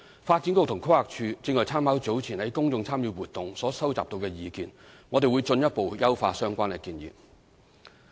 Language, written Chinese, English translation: Cantonese, 發展局和規劃署正參考早前在公眾參與活動所收集到的意見，我們會進一步優化相關建議。, The Development Bureau and PlanD are taking reference from the views gathered earlier in public participated activities . We will further improve the proposals concerned